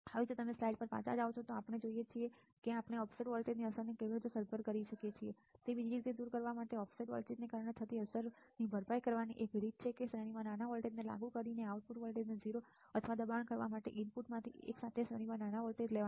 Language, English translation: Gujarati, Now, if you go back to the slide what we see that how we can compensate the effect of offset voltage, to do that other way one way to compensate this for the effect due to the offset voltage is by applying small voltage in series by applying small voltages in series with one of the inputs to force the output voltage to become 0 right